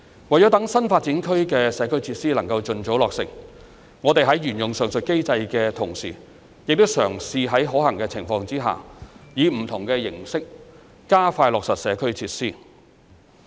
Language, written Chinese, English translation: Cantonese, 為了讓新發展區的社區設施能夠盡早落成，我們在沿用上述機制的同時，亦嘗試在可行的情況下，以不同形式加快落實社區設施。, While we will adhere to the mechanism mentioned above attempts will also be made where practicable to expedite the implementation of community facilities projects with different approaches with a view to the early completion of the community facilities in NDA